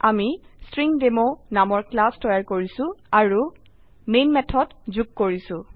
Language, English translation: Assamese, We have created a class StringDemo and added the main method